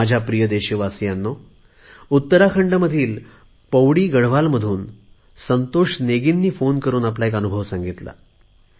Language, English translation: Marathi, My dear countrymen, Santosh Negi from Pauri Garhwal in Uttarakhand, has called up to relate one of his experiences